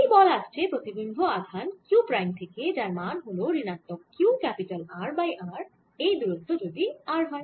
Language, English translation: Bengali, the force on this charge arises from the image charge, q prime, which is equal to minus q r over r if its distance is r